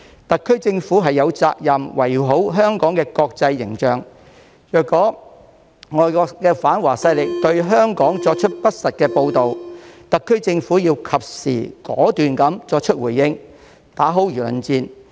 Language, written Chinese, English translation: Cantonese, 特區政府有責任維護香港的國際形象，若外國反華勢力對香港作出不實的報道，特區政府要及時果斷地作出回應，打好輿論戰。, The SAR Government has the responsibility to protect Hong Kongs international image . If foreign anti - China forces make false reports about Hong Kong the SAR Government should respond decisively in a timely manner and fight the public opinion war